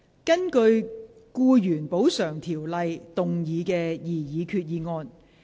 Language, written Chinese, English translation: Cantonese, 根據《僱員補償條例》動議的擬議決議案。, Proposed resolution under the Employees Compensation Ordinance